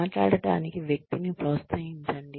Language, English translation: Telugu, Encourage the person to talk